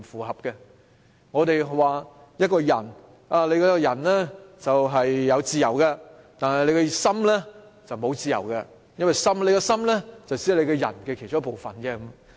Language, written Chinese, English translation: Cantonese, 正如我們說一個人有自由，但他的心卻沒有自由，因為心只是人的其中一個部分。, It is just like arguing that a person is still free although his heart is not because the heart is just one single part of the body